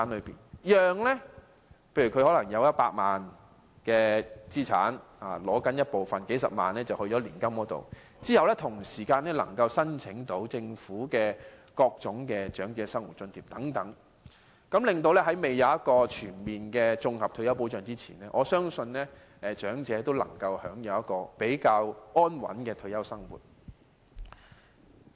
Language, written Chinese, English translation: Cantonese, 例如長者有100萬元資產，當他撥出數十萬元投放到年金計劃，便能申請政府的各種長者生活津貼，這樣在未有全面的綜合退休保障前，我相信長者也能夠享有較安穩的退休生活。, For instance if an elderly person has an asset of 1 million and after he has put several hundred thousand dollars in the annuity scheme he should be eligible to apply for various old age allowances . If this is the case I think the elderly can enjoy a more stable retirement life before the introduction of comprehensive retirement protection